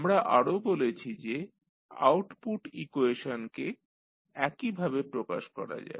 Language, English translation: Bengali, We also discussed that the output equation we can write in the similar fashion